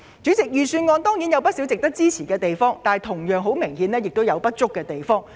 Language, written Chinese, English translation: Cantonese, 主席，預算案固然有不少值得支持的措施，但同樣有明顯的不足之處。, President there is no doubt that the Budget has many initiatives that are worth supporting but it also has some obvious deficiencies